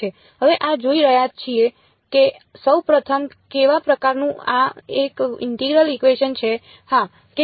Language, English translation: Gujarati, Now looking at this what kind of a first of all is it an integral equation, yes or no